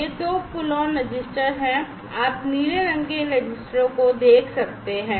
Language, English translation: Hindi, These are the 2 pull on registers, right, you can see these blue colored ones these registers